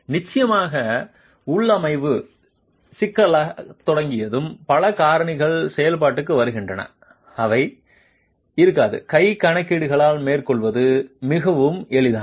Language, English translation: Tamil, Of course once the configuration starts becoming complicated, a number of factors come into play and these may not be so easy to carry out by hand calculations